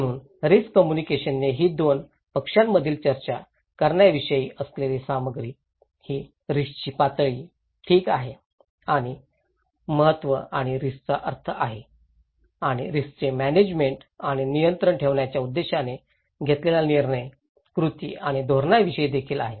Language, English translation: Marathi, So, risk communications is the content between two parties about discussing one is the level of the risk, okay and the significance and the meaning of risk and also it is about the decisions, actions and policies aimed at managing and controlling the risk